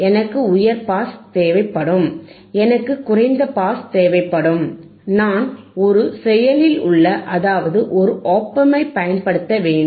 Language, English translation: Tamil, I will need a high pass, I will need a low pass, and I have to use an active, means, an op amp